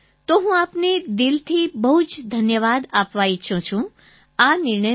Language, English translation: Gujarati, I want to thank you from the core of my heart for this decision